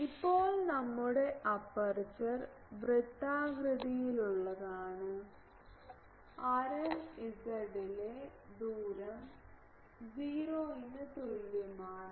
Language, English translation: Malayalam, Now, our aperture is circular with radius a in z is equal to 0 plane